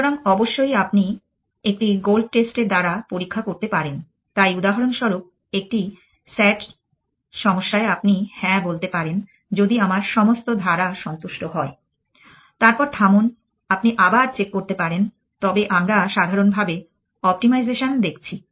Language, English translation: Bengali, So, in fact it is of course you can put in a gold test check, so for example, in a sat problem you can say yes if all my clauses are satisfied then stop you can put then that extra check, but we are looking at optimization more generally know